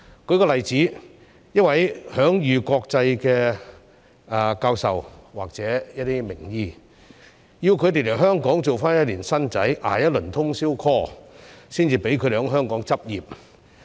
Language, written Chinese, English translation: Cantonese, 舉例來說，要求一名享譽國際的教授或一些名醫來港時先做1年"新仔"，捱一輪通宵 call 才獲准在港執業。, For instance internationally recognized professors or renowned doctors are all required to work as a rookie for a year and undertake overnight on - call duties before being allowed to practise in Hong Kong